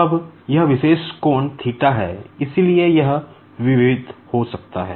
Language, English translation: Hindi, Now, this particular angle theta, so it can be varied